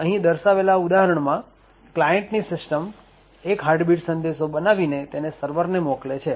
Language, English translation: Gujarati, Over here for example the client would create the Heartbeat message and send that message to the server